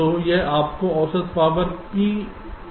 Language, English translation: Hindi, you get the average power